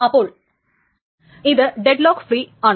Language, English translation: Malayalam, So this is deadlock free